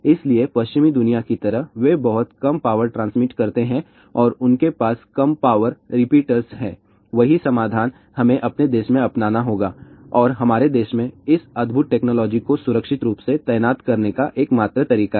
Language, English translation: Hindi, So, just like in the western world, they transmit much lesser power and they have low power repeaters , the same solution we have to adopt in our country and that is the only way to have this wonderful technology deployed safely in our country